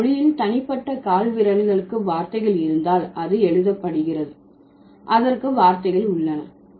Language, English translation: Tamil, We have if a language has words for individual toes, then it has words for individual fingers